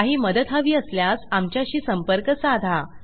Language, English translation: Marathi, If youd like to get any help on it, then please get in touch